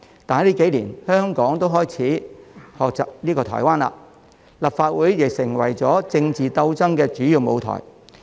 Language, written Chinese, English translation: Cantonese, 但近年，香港亦開始學習台灣，立法會成為了政治鬥爭的主要舞台。, But in recent years Hong Kong started to imitate Taiwans practice thus the Legislative Council has become the main stage for political struggles